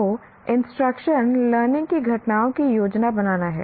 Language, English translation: Hindi, So instruction is planning the learning events